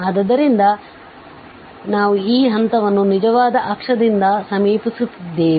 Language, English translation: Kannada, So, we are approaching to this point just by the along the real axis